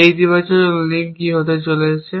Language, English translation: Bengali, What are these positive links going to be